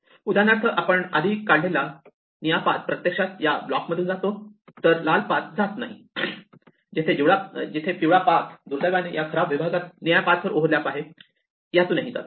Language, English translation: Marathi, For instance, in the earlier thing the blue path that we had drawn actually goes through this, the red path does not, where the yellow path overlapped with the blue path unfortunately in this bad section